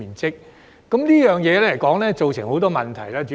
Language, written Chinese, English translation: Cantonese, 主席，這便造成很多問題。, President this has given rise to many problems